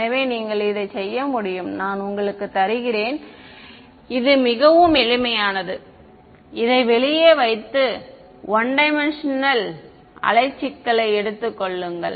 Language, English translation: Tamil, So, you can work it out I am just giving you it is very simple ones just put this out take a 1D wave problem put it in you will find that I still get a wave like solution ok